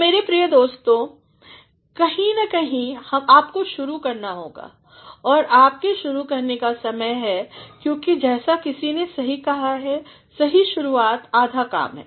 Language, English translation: Hindi, So, my dear friends, somewhere or the other you have to begin and it is time you began because as somebody has rightly said well begun is half done